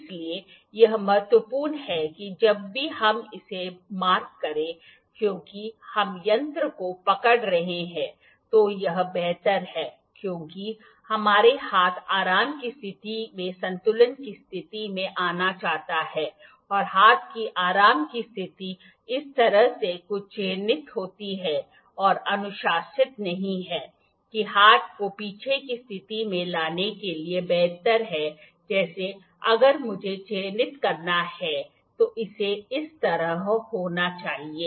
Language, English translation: Hindi, So, it is important that whenever we mark so, because we are holding the instrument it is better, because our hand would like to come in the equilibrium position in the relax position and the relax position of the hand is like this marking something like this is not recommended it is better to bring the hand in the backward position like if I have to mark it should be like this